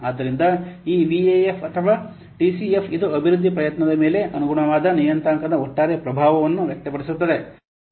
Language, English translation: Kannada, So this VIF or this T CF, it expresses the overall impact of the corresponding parameter on the development effort